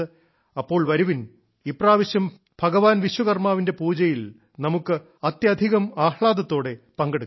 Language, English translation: Malayalam, Come, this time let us take a pledge to follow the message of Bhagwan Vishwakarma along with faith in his worship